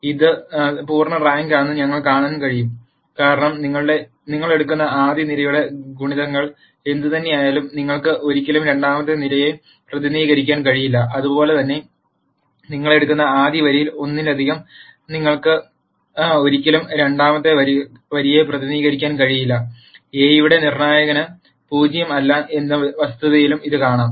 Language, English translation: Malayalam, We can see that this is full rank, because whatever multiple of the first column you take, you can never represent the second column and similarly whatever multiple of the first row you take you can never represent the second row, and this can also be seen from the fact that the determinant of A is not 0